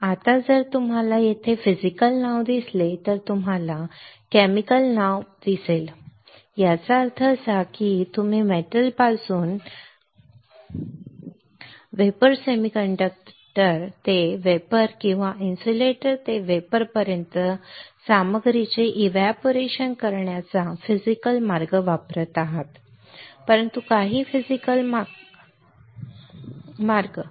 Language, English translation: Marathi, Now if you see the name physical right here you see the name chemical right; that means, that you are using a physical way of evaporating the material from metal to vapor semiconductor to vapor or insulator to vapor, but using some physical way of deposition